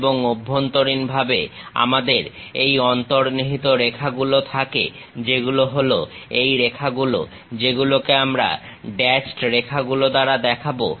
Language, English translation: Bengali, And, internally we have these hidden lines which are these lines, that we will show it by dashed lines